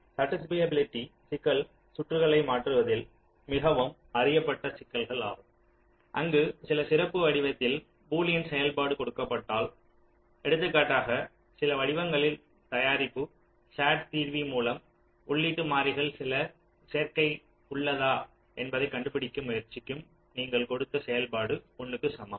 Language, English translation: Tamil, satisfiability problem is a very well known problem in switching circuits where, given a boolean function in some special form say, for example, the product of some forms the sat solver will trying to find out whether there exists some combination of the input variables for which your given function is equal to one